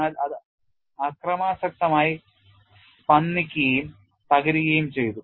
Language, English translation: Malayalam, But it violently vibrated and collapsed